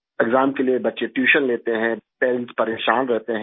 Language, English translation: Hindi, Children take tuition for the exam, parents are worried